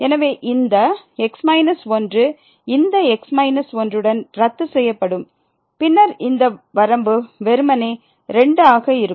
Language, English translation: Tamil, So, this minus will get cancel with this minus and then this limit will be simply